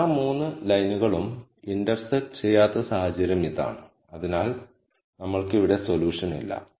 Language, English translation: Malayalam, So, this is the case of not all 3 lines intersect so we do not have a solution here